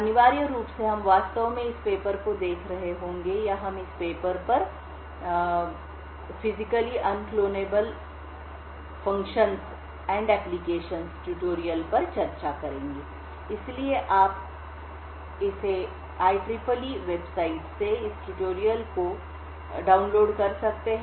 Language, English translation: Hindi, Essentially, we will be actually looking at this paper or we will be discussing this paper called Physically Unclonable Functions and Applications tutorial, So, you can download this tutorial from this IEEE website